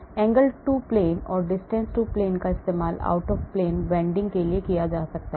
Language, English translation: Hindi, angle to plane or distance to plane can be used for the out of plane bending